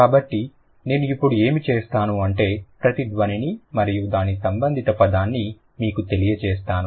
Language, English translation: Telugu, So, what I will do now, I'll just let you know each of the sound and its corresponding word